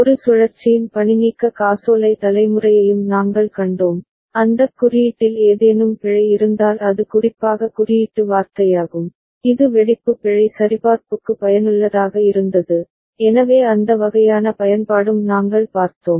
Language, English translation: Tamil, And we also saw a cyclic redundancy check generation, and also detection, any error in that code that is code word for any especially, it was useful for burst error checking, so that kind of use also we have seen